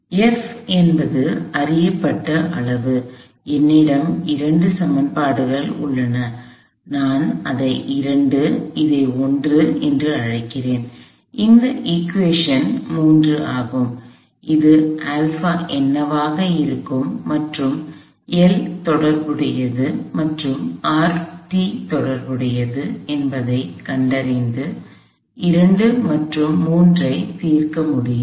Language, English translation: Tamil, F is a known quantity, I have two equations here, I call this 2, I call this 1 and this is equation 3 I can solve 2 and 3 to find what alpha would be and the corresponding l and the corresponding R sub t